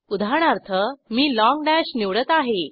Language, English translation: Marathi, For eg I will select Long dash